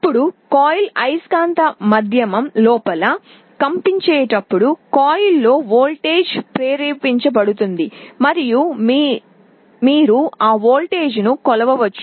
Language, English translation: Telugu, Now, as the coil vibrates inside a magnetic medium, a voltage will be induced in the coil and you can measure that voltage